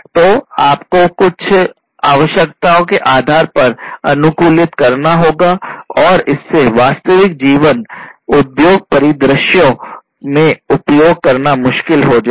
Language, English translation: Hindi, So, you have to customize them based on certain requirements and that makes it you know difficult for use in real life industry scenarios